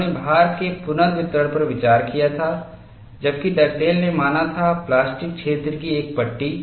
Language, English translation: Hindi, He had considered redistribution of load, whereas Dugdale considered a strip of plastic zone